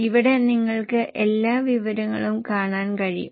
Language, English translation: Malayalam, Here you can see all the information